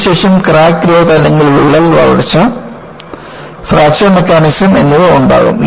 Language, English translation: Malayalam, This would be followed by Crack Growth and Fracture Mechanisms